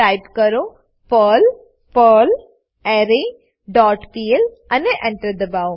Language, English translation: Gujarati, Type perl perlArray dot pl and press Enter